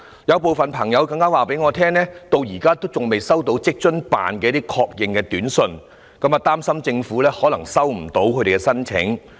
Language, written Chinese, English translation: Cantonese, "有部分朋友更加告訴我，他們至今仍然未收到在職家庭津貼辦事處的確認短訊，擔心政府可能收不到他們的申請。, Some people even told me that as they had not received any confirmation message from the Working Family Allowance Office they were worried that the Government had not received their applications